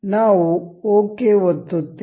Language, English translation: Kannada, And we will click ok